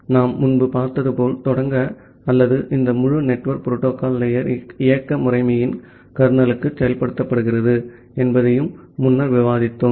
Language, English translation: Tamil, So, to start with as we have seen earlier or we have also discussed earlier that this entire network protocol stack is implemented inside the kernel of the operating system